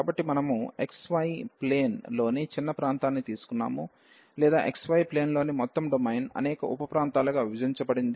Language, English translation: Telugu, So, we have taken the small region in the x, y plane or the whole domain in the x, y plane was divided into many sub regions